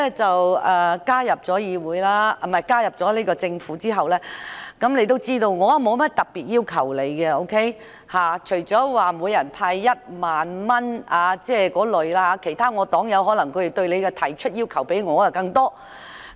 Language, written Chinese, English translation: Cantonese, 自局長加入政府後，他應知我對他也沒有甚麼特別要求，除了每人派發1萬元那類建議之外，我要求不多，反而其他黨友對他要求更多。, The Secretary should know it well that I have not put up many specific requests to him since he joined the Government . Apart from certain proposals like the handing out of 10,000 to everyone I do not expect much from him although quite a number of requests have been directed to him by some of my fellow party members